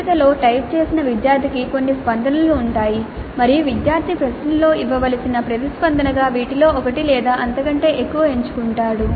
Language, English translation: Telugu, In the selection type the student is presented with certain responses and the student selects one or more of these as the response to be given to the question